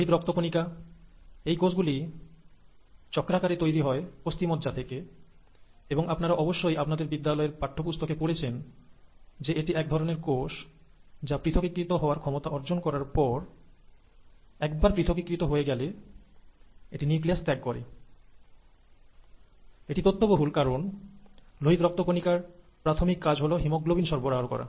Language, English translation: Bengali, The red blood cells, these cells periodically come out of the bone marrow, they are formed from bone marrow cells and you find, you must have studied in your school textbooks that this is one cell type which once it has differentiated, once it has reached its differentiated ability, it loses its nucleus, and that makes sense because the primary function of the red blood cells is to carry haemoglobin